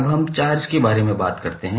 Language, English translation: Hindi, Now, let us talk about the charge